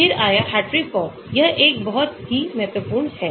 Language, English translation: Hindi, Then came the Hartree Fock; this is a very important one as well